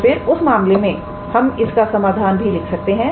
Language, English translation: Hindi, So, then in that case we can write it so, the solution